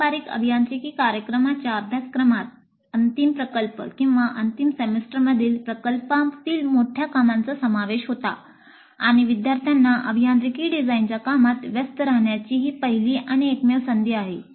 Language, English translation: Marathi, Traditionally, engineering program curricula included a major project work in the final year or final semester and this was the first and only opportunity provided to the students to engage with engineering design activity